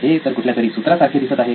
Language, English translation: Marathi, This sounds like a formula